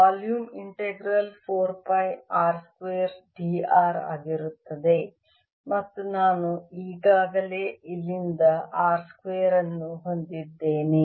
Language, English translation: Kannada, integral is going to be four pi r square, d, r, and i already have a r square from here